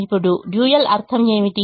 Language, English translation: Telugu, now, what is the meaning of the dual